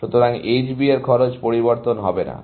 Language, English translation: Bengali, So, the cost for H B is not going to change